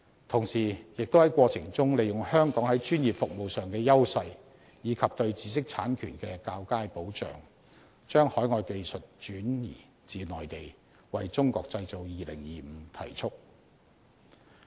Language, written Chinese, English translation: Cantonese, 同時，亦能在過程中利用香港在專業服務上的優勢，以及對知識產權的較佳保障，把海外技術轉移至內地，為"中國製造 2025" 提速。, At the same time Hong Kong can make use of its edge of its professional services in the process and with Hong Kongs better intellectual property protection overseas technologies can be transferred to the Mainland with a view to speeding up the Made in China 2025 initiatives